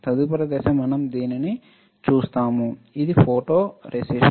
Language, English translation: Telugu, Next step is we will make it, this is photoresist